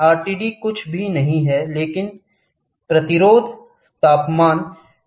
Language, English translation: Hindi, RTD is nothing, but resistance temperature detectors